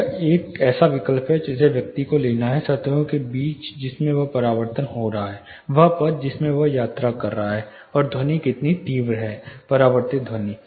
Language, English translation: Hindi, You know it is a judicious choice a person has to take, between the surfaces in which it is reflecting, the path it which in which it is traveling, and how much intense the sound itself is, the reflected sound itself is